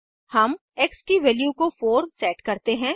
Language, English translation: Hindi, we set the value of x as 4